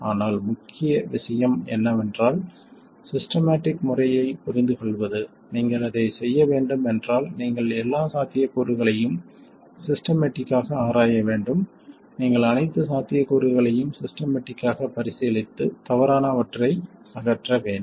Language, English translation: Tamil, But the point is to understand the systematic method so that if you have to do it, you have to be able to go through all the possibilities systematically, you have to consider all the possibilities systematically and eliminate all the wrong ones